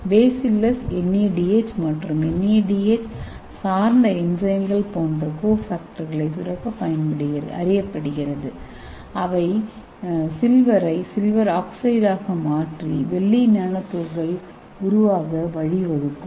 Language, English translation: Tamil, so this bacillus microbe is known to secrete cofactors like NADH and NADH dependent enzymes so this will be converting this Ag + to Ag0 and to the formation of silver nanoparticles